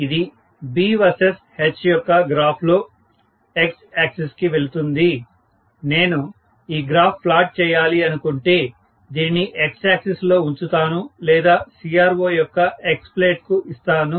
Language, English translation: Telugu, So, this will obviously go to the x axis of the plotting of V versus H, if I want to plot, I will give this to the x axis or X plate of the CRO, right